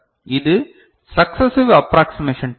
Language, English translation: Tamil, And this is successive approximation type